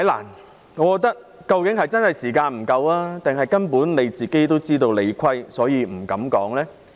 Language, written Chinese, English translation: Cantonese, 陳議員究竟是時間不夠，還是根本自知理虧而不敢發言？, Was it that Mr CHAN did not have sufficient time to respond or was it that he did not have the courage to do so because he knew he was wrong?